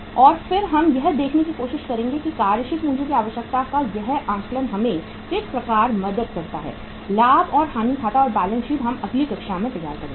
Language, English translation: Hindi, And then we will try to see that how this assessment of working capital requirement helps us to prepare the profit and loss account and balance sheet and that we will do in the next class